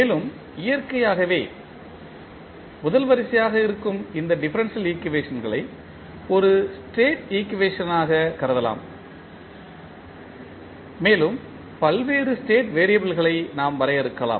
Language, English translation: Tamil, And, then we also discussed that these differential equations which are first order in nature can be considered as a state equation and we can define the various state variables